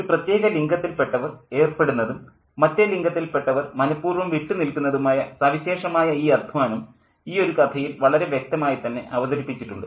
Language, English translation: Malayalam, And so all these contrasts in terms of the labor that one particular gender engages in and the labor that the other gender doesn't engage in is brought out really vividly in this particular story